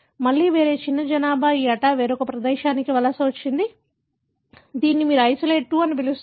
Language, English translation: Telugu, Again, a different, small population migrated to this ata different place, which you call as isolate 2